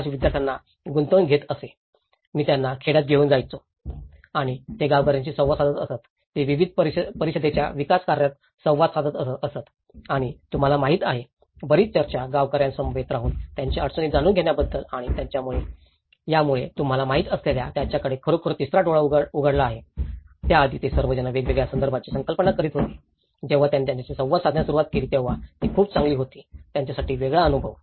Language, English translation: Marathi, Arch students along with me, I should take them to the villages and they used to interact with the villagers, they used to interact with various council development activities and you know, the lot of discussions, living with the villagers and knowing their difficulties and that has really opened a third eye for them you know, before that they were all imagining a different context, when they started interacting with it, it was a very different experience for them